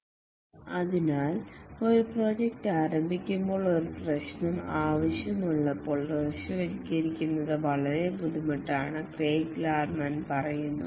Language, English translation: Malayalam, Craig Lerman says that when a project starts, it's very difficult to visualize all that is required